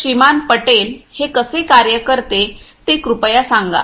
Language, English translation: Marathi, Patel could you please explain how it works